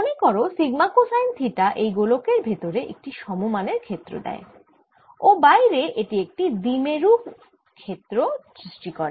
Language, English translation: Bengali, and you recall that sigma cosine theta gives me a field which is uniform field inside this sphere and outside it'll be like a dipole field